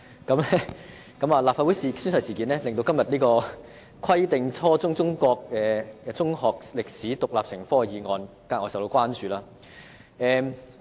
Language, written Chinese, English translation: Cantonese, 有關事件亦令今天這項"規定初中中國歷史獨立成科"的議案，格外受到關注。, The fiasco has also thrust todays motion on Requiring the teaching of Chinese history as an independent subject at junior secondary level into the limelight